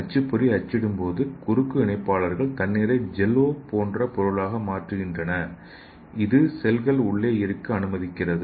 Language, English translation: Tamil, So when the printer prints the cross linker transform the water into jell–O like substance and which allows the cells to be put in